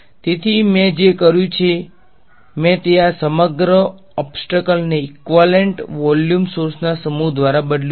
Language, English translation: Gujarati, So, what I have done is I have replaced this entire obstacle by a set of equivalent volume sources right